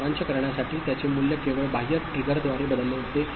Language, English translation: Marathi, To summarize its value changes only by external trigger